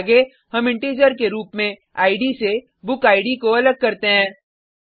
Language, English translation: Hindi, Next, we parse the BookId as Integer from the Id